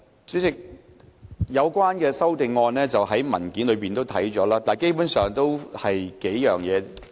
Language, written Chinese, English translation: Cantonese, 主席，有關修訂已載列在文件中，基本上涉及數點。, President the amendments are already set out in the paper and they are basically related to several points